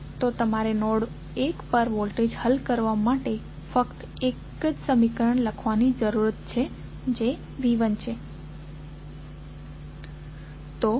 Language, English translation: Gujarati, So, you need to write only one equation to solve the voltage at node 1 that is V 1